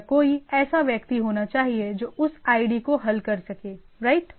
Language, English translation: Hindi, Or there should be someone which resolve that id IP right